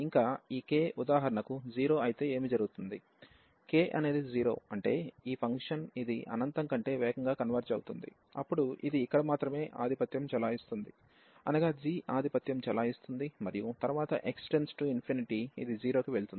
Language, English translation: Telugu, Further, what will happen if this k is 0 for example; k is 0 means that this is converging faster to infinity than this one than this function, then only this will dominate here the g will dominate and then x goes to infinity this will go to 0